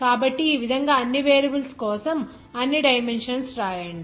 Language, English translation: Telugu, So in this way note down all the dimensions for all variables